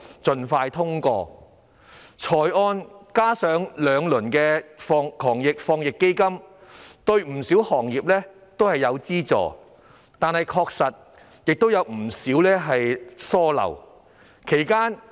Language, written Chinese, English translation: Cantonese, 預算案加上兩輪防疫抗疫基金，對不少行業提供資助，但當中也有不少疏漏。, Though the Budget and the two rounds of the Anti - epidemic Fund AEF will provide financial assistance to various industries there are still some omissions